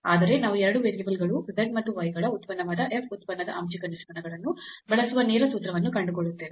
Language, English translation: Kannada, But, we will find a direct formula which will use the partial derivatives of this function f which is a function of 2 variables x and y